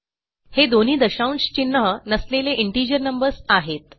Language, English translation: Marathi, So, these are both integer numbers with no decimal point